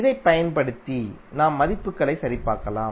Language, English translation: Tamil, So this you can verify the values